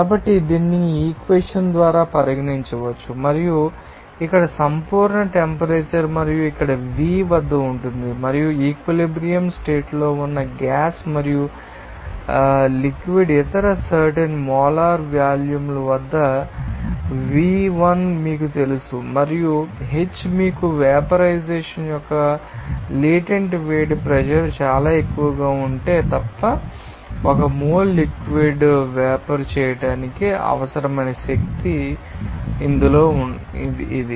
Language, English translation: Telugu, So, this can be regarded by this equation and what is absolute temperature and here Vg at and you know that Vl at other specific molar volumes of gas and liquid that is in equilibrium condition and deltaH at that you know that is the latent heat of vaporization that is energy required to vaporize 1 mole of liquid unless the pressure is very high this you know that difference in you know that specific molar volume of you know gas and liquid will be you know equal to you know that only molar volume of gas